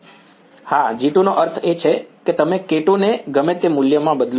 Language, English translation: Gujarati, Yes, G 2 means you change the k 2 whichever the value